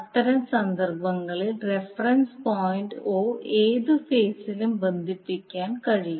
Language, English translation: Malayalam, So in that case the reference point o can be connected to any phase